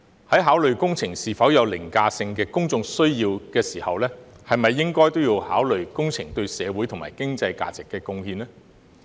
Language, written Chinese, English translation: Cantonese, 在考慮工程是否有凌駕性的公眾需要時，是否也應考慮工程對社會及經濟價值的貢獻呢？, In considering whether there is an overriding public need for the project should we not also take into account its contribution to society and the economy?